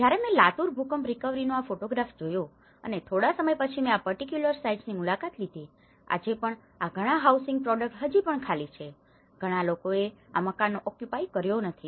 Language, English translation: Gujarati, When I saw this photograph of the Latur Earthquake recovery and after some time I visited these particular sites and even today, many of these housings products they are still vacant not many people have occupied these houses